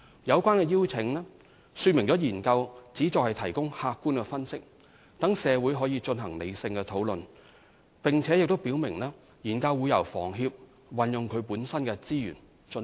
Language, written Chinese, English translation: Cantonese, 有關的邀請說明了研究旨在提供客觀分析，讓社會可進行理性討論，並且表明研究將會由房協運用其資源進行。, The invitation has set out the purpose of these studies that is to provide objective analyses and enable rational deliberations by the community